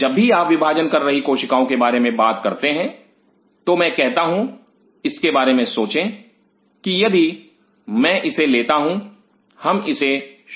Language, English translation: Hindi, Whenever you talk about dividing cell think of it say if I take the let us start it